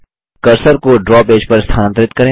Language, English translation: Hindi, Move the cursor to the Draw page